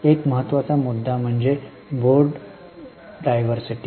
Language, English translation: Marathi, One important issue is board diversity